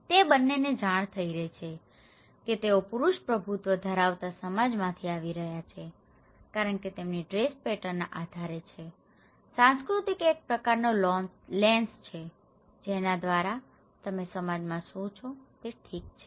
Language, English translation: Gujarati, So, both of them is perceiving that they are coming from a male dominated society because based on their dress pattern, okay so, culture is a kind of lens through which you look into the society how it is okay